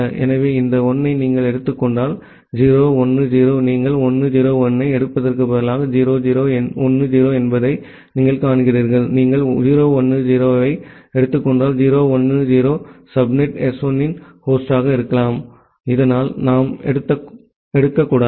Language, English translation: Tamil, So, if you take this 1 as 0 1 0 you see that 0 0 1 0 instead of taking 1 0 1, if you take 0 1 0, 0 1 0 can be a host of the subnet S1, so that one we should not take